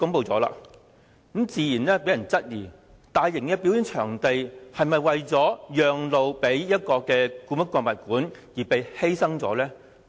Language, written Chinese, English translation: Cantonese, 這項安排自然令人懷疑，大型表演場地是否為"讓路"予故宮館而被白白犧牲。, The arrangement naturally created doubts as to whether the proposed mega performance venue was sacrificed to give way to building HKPM